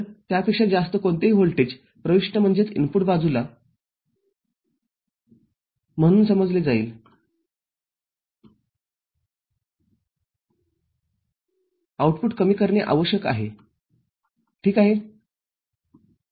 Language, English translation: Marathi, So, any voltage higher than that will be considered as, at the input side, will necessarily make the output low ok